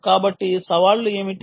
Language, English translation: Telugu, so what are the challenges